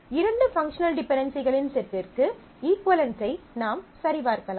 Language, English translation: Tamil, You can check for equivalents for a pair of sets of functional dependencies